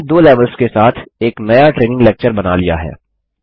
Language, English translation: Hindi, We have created a new training lecture with two levels